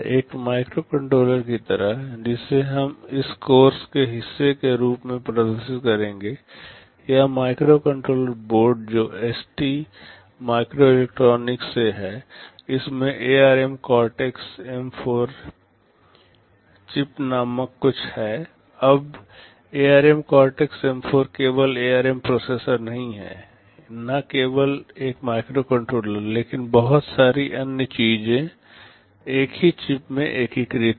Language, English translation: Hindi, Like one of the microcontroller that we shall be demonstrating as part of this course, this microcontroller board which is from ST microelectronics, it has something called ARM Cortex M4 chip inside, now ARM Cortex M4 is not only the ARM processor, not only a microcontroller, but lot of other things all integrated in the same chip